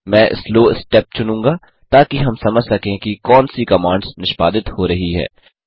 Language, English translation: Hindi, I will choose Slow step so that we understand what commands are being executed